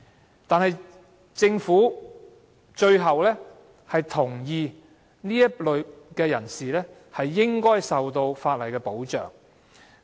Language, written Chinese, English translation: Cantonese, 然而，政府最後同意這類人士應該受到法例保障。, However the Government eventually agreed that such persons should be protected by law